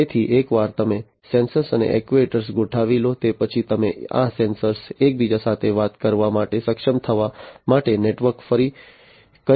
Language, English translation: Gujarati, So, once you have deployed the sensors and actuators you can have these sensors being networked to be able to talk to each other